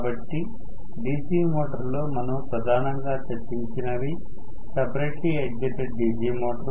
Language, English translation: Telugu, So, in DC motor mainly what we had discussed was separately excited DC motor